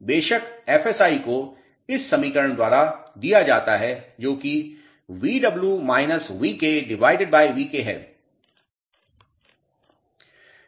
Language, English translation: Hindi, Of course, FSI is given by this equation that is Vw minus Vk upon Vk